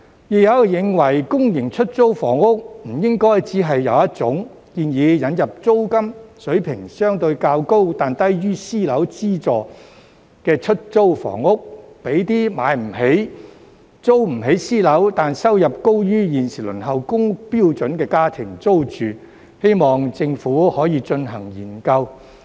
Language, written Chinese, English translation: Cantonese, 亦有人認為公營出租房屋不應該只有一種，建議引入租金水平相對較高、但低於私樓的資助出租房屋，讓那些買不起、租不起私樓，但收入高於現時輪候公屋標準的家庭租住，希望政府可以進行研究。, Some people also think that there should not be only one type of public rental housing and suggest the introduction of subsidized rental housing at a relatively higher rent level but still lower than that for private housing for those households who cannot afford to buy or rent private housing but whose income is higher than the current income limit for families waiting for public housing